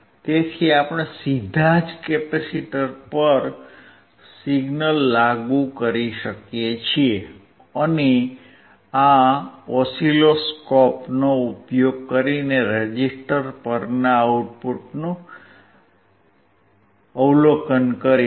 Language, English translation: Gujarati, So, we can directly apply the signal to the capacitor, and we will observe the output across the resistor using the oscilloscope